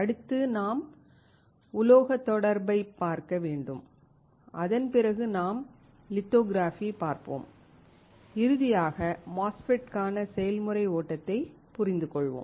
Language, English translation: Tamil, Next we have to see the metal contact, after which we will see lithography and finally, understand the process flow for the MOSFET